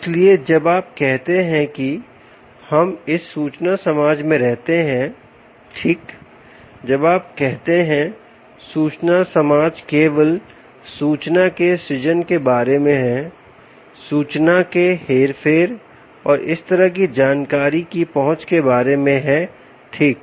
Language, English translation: Hindi, when you say information society, it's all about creation of information, manipulation of information, access to that such information right